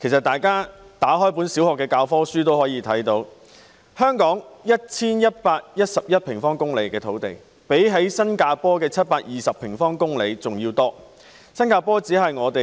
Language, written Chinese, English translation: Cantonese, 大家翻開小學教科書也知道，香港的土地面積有 1,111 平方公里，較新加坡的720平方公里還要多。, We can learn from primary school textbooks that Hong Kong has a total land area of 1 111 sq km which is bigger than the 720 sq km of Singapore